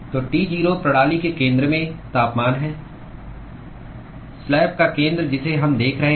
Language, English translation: Hindi, So, T 0 is the temperature at the centre of the system centre of the slab that we are looking at